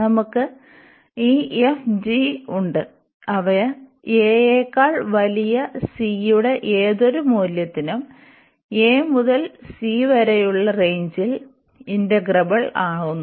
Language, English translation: Malayalam, So, we have this f and g they are integrable over the range a to c for any value of c greater than a